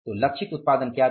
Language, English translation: Hindi, So, what was the targeted production